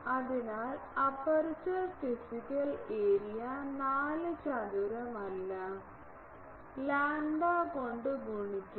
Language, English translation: Malayalam, So, aperture physical area is getting multiplied by 4 pi by lambda not square